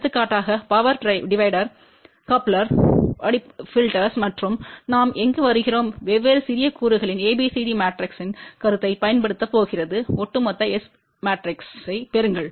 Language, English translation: Tamil, For example, power dividers, couplers, filters and so on and where we are going to apply the concept of ABCD matrices of different smaller components multiply them and get the overall S matrix